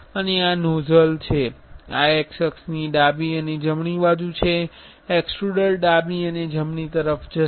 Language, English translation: Gujarati, And this is the nozzle, this is the x axis left and right, the extruder will go left and right